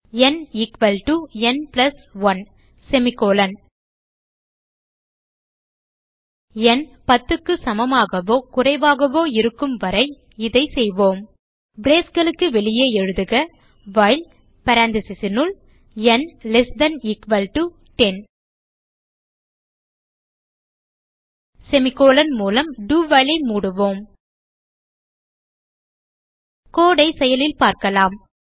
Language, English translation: Tamil, n equalto n plus 1 And we do this as long as n is less than or equal to 10 Outside the braces Type while in paranthesis And close the do while using a semi colon Let us see the code in action